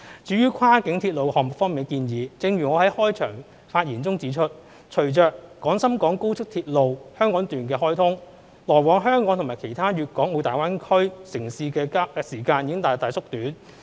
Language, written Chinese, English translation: Cantonese, 至於跨境鐵路項目方面的建議，正如我在開場發言中指出，隨着廣深港高速鐵路香港段開通，來往香港與其他粵港澳大灣區城市的時間已大大縮短。, Concerning proposals on cross - boundary railway projects as I have pointed out in my opening remark with the commissioning of the Hong Kong section of the Guangzhou - Shenzhen - Hong Kong Express Rail Link XRL the travelling time between Hong Kong and other cities in the Guangdong - Hong Kong - Macao Greater Bay Area GBA has been greatly shortened